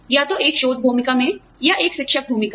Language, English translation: Hindi, Either in a research role, or in a teaching role